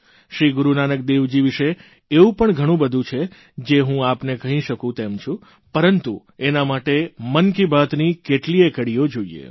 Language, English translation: Gujarati, There is much about Guru Nanak Dev ji that I can share with you, but it will require many an episode of Mann ki Baat